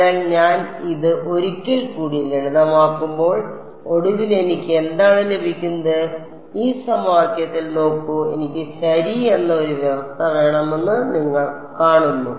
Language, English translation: Malayalam, So, when I simplify this once more what do I get d by dx finally, see in this equation you see I want a condition on U prime x ok